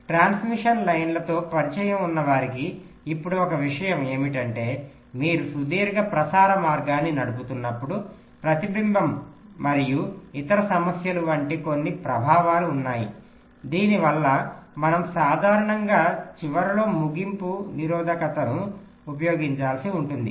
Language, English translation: Telugu, right now, one thing now, for those who are familiar with transmission lines, will be knowing that whenever you are driving a long transmission line, there are some effects like reflection and other problems, because of which we normally have to use a terminating resistance at the end of the line